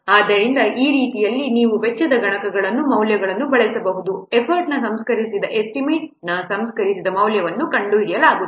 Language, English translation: Kannada, So in this way you can use the values of the cost multipliers to find out the refined value of the refined estimate of the effort